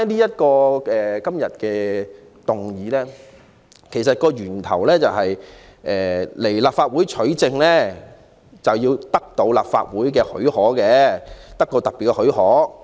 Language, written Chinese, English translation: Cantonese, 說回今天的議案，其實源於就某些事件向立法會取證須請求立法會給予特別許可。, Coming back to the motion today it actually originates from the special leave to be sought from the Legislative Council to obtain evidence of certain incidents from it